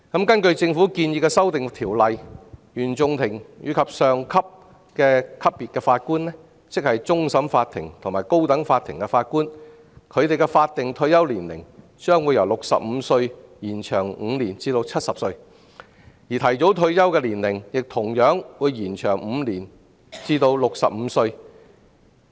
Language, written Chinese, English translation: Cantonese, 根據政府建議的修訂，原訟法庭及以上級別法官的法定退休年齡將會由65歲延長5年至70歲，而提早退休的年齡亦會延長5年至65歲。, According to the proposed amendments of the Government the statutory retirement ages for Judges at the CFI level and above and the High Court will be extended by five years from 65 to 70 and their early retirement age will also be extended by five years to 65